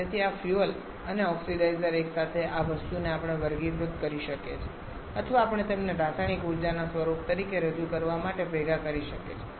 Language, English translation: Gujarati, So, this fuel and oxidizer together this thing we can classify as or we can combine them to represent as a form of chemical energy